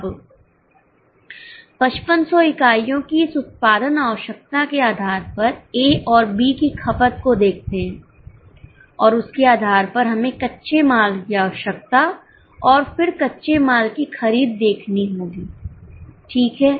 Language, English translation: Hindi, Now based on this production requirement of 5,500 units, look at the consumption of A and B and based on that let us go for raw material requirement and then raw material purchase